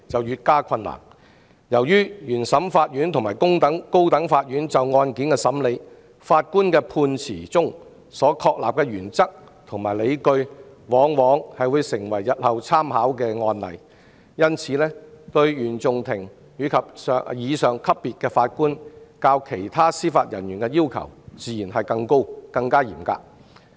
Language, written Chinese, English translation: Cantonese, 由於原訟法庭及高等法院法官的判詞中所確立的原則和理據，往往成為日後參考的案例，對原訟法庭及以上級別法官的要求自然較其他司法人員更高、更嚴格。, The higher the court level the more difficult the recruitment of Judges will be . Since the principles and rationale established in the judgments of High Court Judges including CFI judges are likely to form part of the precedents for reference in future it is reasonable to impose more stringent demand on Judges at the CFI level and above than other Judicial Officers